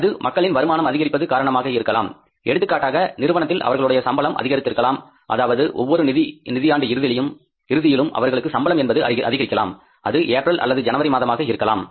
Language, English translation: Tamil, So we can find out that because of any reason if the income level of people is going to increase, for example, increase of the salaries by the companies of their employees, maybe at the end of every financial year, maybe in the month of April or in the month of January, they give the hike to their employees